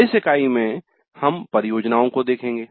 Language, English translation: Hindi, In this unit we look at the projects